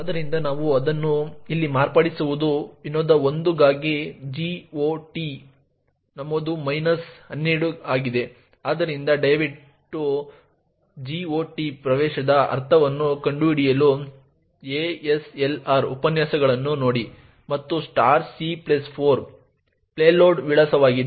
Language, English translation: Kannada, So, what we modify it is with over here is the GOT entry minus 12 for function 1, so please refer to the ASLR lectures to find out what the GOT entry means and *(c+4) is the address of the payload